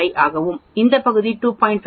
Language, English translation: Tamil, 5 and this portion will be 2